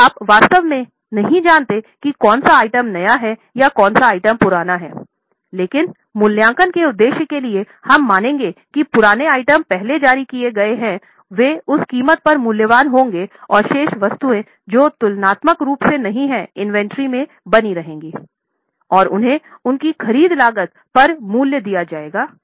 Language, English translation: Hindi, So, you exactly don't know which item is newer and which item is older but for valuation purposes we will assume that the older items are issued out first, they will be valued at that cost and the remaining items which are comparatively new will remain in the inventory and they will be valued at their purchase costs